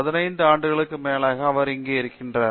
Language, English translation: Tamil, And, he has been with us here for over 15 years now